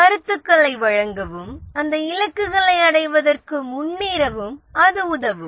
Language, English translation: Tamil, Provide feedback on progress towards meeting those goals